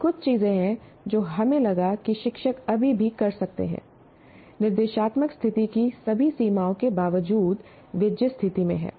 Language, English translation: Hindi, Okay, these are a few things that we felt teachers can still do in spite of all the limited limitations of the instructional situation they are in